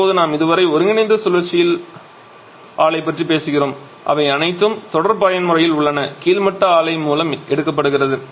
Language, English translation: Tamil, Now we are so far talking about the combined cycle plant all are in series mode that is the amount of energy rejected by the topping plant is being absorbed by the bottoming plant